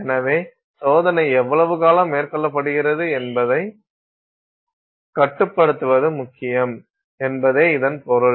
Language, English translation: Tamil, So, this means it is important for us to control how long the test is being carried out